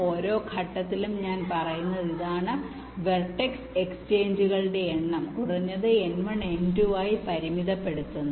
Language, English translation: Malayalam, we are limiting the number of vertex exchanges to the minimum of n one and n two